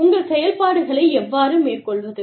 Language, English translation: Tamil, How do you carry out, your operations